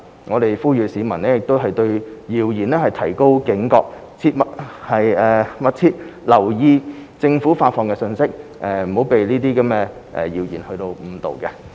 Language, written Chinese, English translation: Cantonese, 我們呼籲市民對謠言提高警覺，密切留意政府發放的資訊，切勿被謠言誤導。, We appeal to members of the public to be vigilant against rumours and pay attention to information released by the Government so as to avoid being misled by rumours